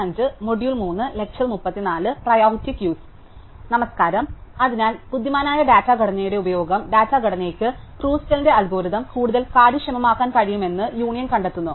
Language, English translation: Malayalam, So, we have seen how the use of a clever data structure, the union find data structure can make Kruskal's algorithm more efficient